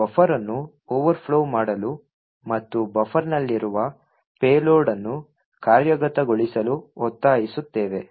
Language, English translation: Kannada, We force the buffer to overflow and the payload which was present in the buffer to execute